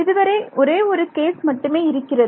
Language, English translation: Tamil, So, far there is only one case